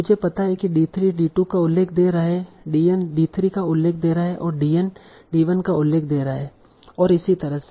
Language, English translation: Hindi, I know D3 is citing D2, I know DN is citing D3, DN is citing D1, so on